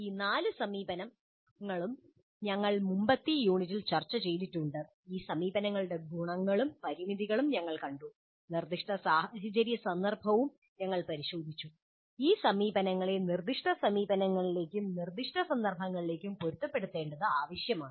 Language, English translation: Malayalam, All these four approaches we have discussed in the earlier units and we saw the advantages and limitations of these approaches and we also looked at the specific situational context which will necessiate adapting these approaches to specific institutes and specific contexts